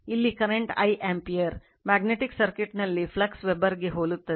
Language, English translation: Kannada, Current here is I ampere in magnetic circuit in analogous is phi flux Weber